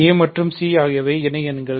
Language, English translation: Tamil, So, a and c are associates